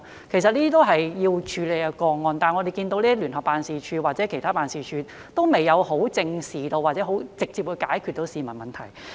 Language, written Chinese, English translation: Cantonese, 這些都是要處理的個案，但我們看到聯辦處或其他辦事處，都未有正視或可直接解決市民的問題。, These are the cases that need to be handled but we can see that neither JO nor other offices have faced up to or directly solved the problems of the public